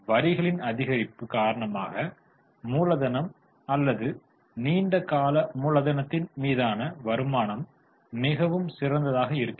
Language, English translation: Tamil, Because of addition of taxes, the return on capital or long term capital is much better